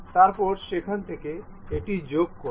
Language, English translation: Bengali, Then from there, join this one